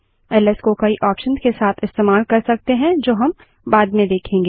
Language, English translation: Hindi, ls can be used with many options which we will see later